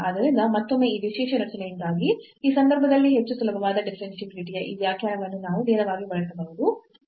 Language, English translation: Kannada, So, again this we can directly use this definition of the differentiability which is much easier in this case because of this special structure